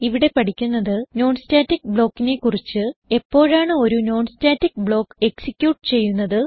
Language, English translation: Malayalam, In this tutorial we will learn About non static block When a non static block executed